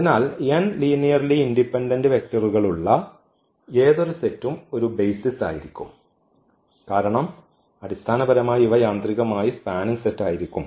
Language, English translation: Malayalam, So, any set which has n linearly independent vectors that will be a basis because for the for the basis these will automatically will be the spanning set